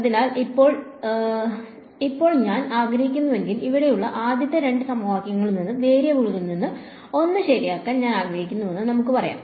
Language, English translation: Malayalam, So, now, if I take I want to, from the first two equations over here let us say I want to eliminate one of the variables right